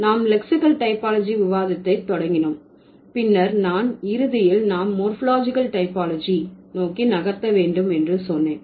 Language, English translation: Tamil, We started the discussion with lexical typology and then I said that we will eventually move over to morphological typology